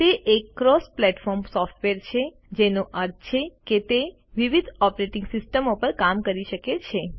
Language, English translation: Gujarati, It is a cross platform software, which means it can run on various operating systems